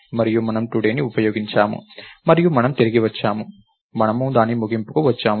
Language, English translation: Telugu, And lets say, we used today and we returned, we came to the end of it